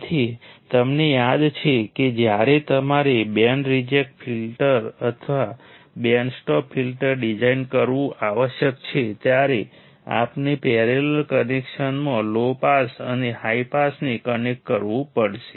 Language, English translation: Gujarati, So, you remember that when you must design a band reject filter or band stop filter you have to connect low pass and high pass in a parallel connection